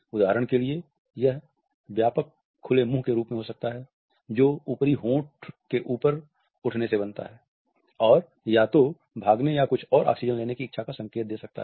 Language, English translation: Hindi, For example, it can be same in wide open mouth which is formed by the raising of the upper lip which may indicate a desire either to escape or to have some more oxygen